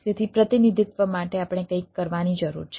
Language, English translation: Gujarati, so for representing i need to, we need to do a something